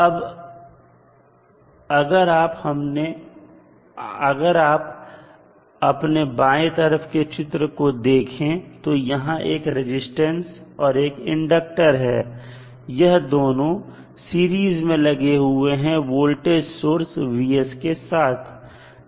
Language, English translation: Hindi, Now, if you see the figure on the left you have 1 r resistance and inductor both are in series with voltage source vf